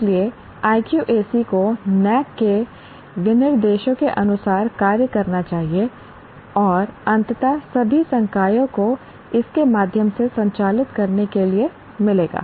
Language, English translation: Hindi, So the IQAC should function as per the specifications of NAAC and eventually all faculty will get to operate through this